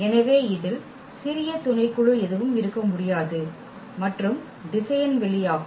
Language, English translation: Tamil, So, there cannot be any smaller subset of this which contain s and is a vector space